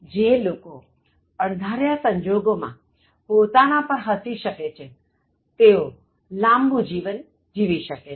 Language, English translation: Gujarati, People who learn how to laugh at themselves and unforeseen circumstances live longer